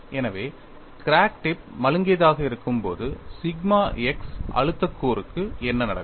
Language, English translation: Tamil, So, when the crack tip is blunt, what would happen to the sigma x stress component